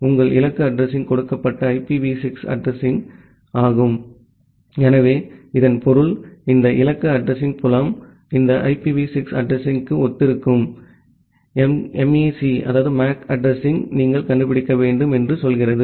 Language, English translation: Tamil, Then your target address is the given IPv6 address, so that means, this target address field it tells you that you want to find out the MAC address corresponds to this IPv6 address